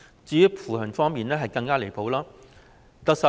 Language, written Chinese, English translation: Cantonese, 至於扶貧方面，情況更是離譜。, As for poverty alleviation the situation is even more ridiculous